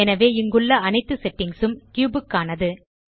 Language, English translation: Tamil, So all the settings here are for the cube